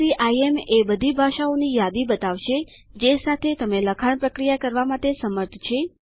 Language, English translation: Gujarati, SCIM will show a list with all the languages it supports text processing in